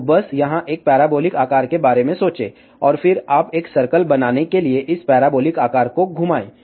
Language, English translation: Hindi, So, just think about a parabolic shape here, and then you rotate this parabolic shape to make a complete circle